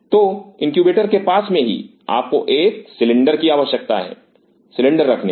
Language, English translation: Hindi, So, adjacent to the incubator you needed to have a cylinder placing the cylinder